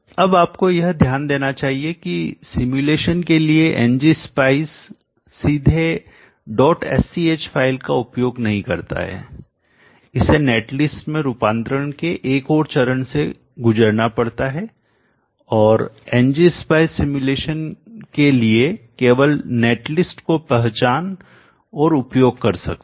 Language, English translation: Hindi, Now you should note that ng spice does not directly use the dot SCH file for simulation it has to go through one more step of conversion to a net list and ng spice can only recognize and use net list for simulation